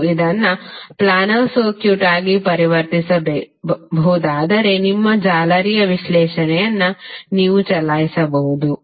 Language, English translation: Kannada, And if it can be converted into planar circuit you can simply run your mesh analysis